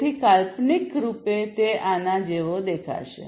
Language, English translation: Gujarati, So, conceptually it would look like this